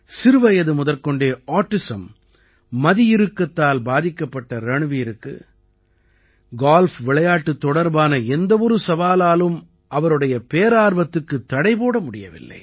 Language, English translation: Tamil, For Ranveer, who has been suffering from autism since childhood, no challenge could reduce his passion for Golf